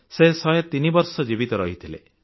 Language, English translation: Odia, He lived till 103 years